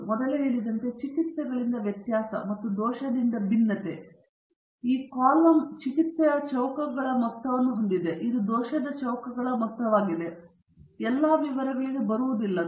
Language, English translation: Kannada, As I said earlier, variability from treatments and the variability from error, and this column contains a sum of squares of treatments and this is sum of squares of error; I am not getting into all the details